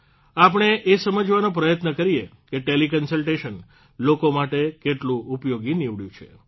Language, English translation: Gujarati, Let us try to know how effective Teleconsultation has been for the people